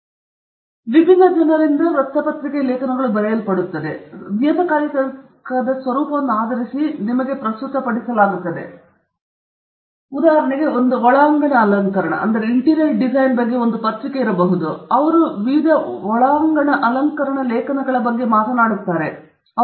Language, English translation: Kannada, Again, they are written by various different people and presented to you based on the nature of that magazine; so, there may be a magazine on interior decoration, then they only talk about interior decoration articles; there may be others on current events and so on